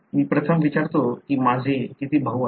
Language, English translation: Marathi, I first ask how many brothers I have